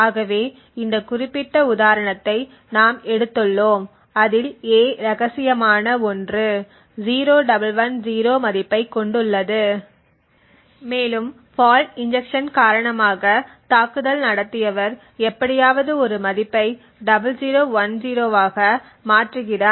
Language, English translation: Tamil, So we have taken this particular example where a which is secret has a value of 0110 and the attacker has somehow due to the fault injection change the value of a to 0010